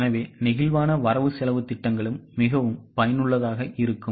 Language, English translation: Tamil, So, flexible budgets are more useful in various commercial organizations